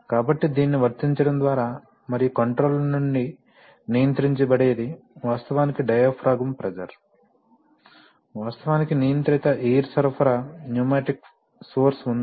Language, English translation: Telugu, So, by applying, and what is controlled, what is controlled from the controller is actually the diaphragm pressure, you know actually there is a controlled air supply pneumatic source